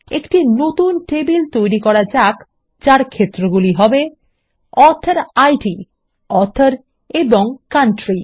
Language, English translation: Bengali, We will create a new table called Authors with fields AuthorId, Author and Country